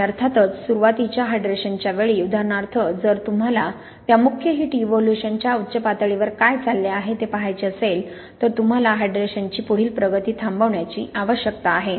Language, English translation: Marathi, And of course, at early hydration times for example if you want to look in what is going on through that main heat evolution peak you need it to stop the further progress of hydration